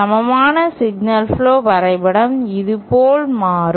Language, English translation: Tamil, If you have a signal flow graph diagram like this